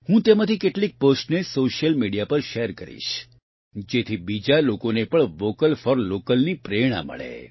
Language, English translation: Gujarati, I will share some of those posts on Social Media so that other people can also be inspired to be 'Vocal for Local'